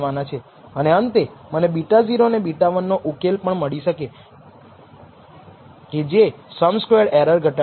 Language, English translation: Gujarati, And nally, I will get the solution for beta 0 and beta 1, which minimizes this sum squared error